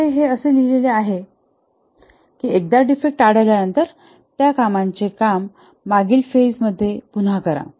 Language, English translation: Marathi, So, that's what is written here that once the defect is detected, redo the work in the previous pages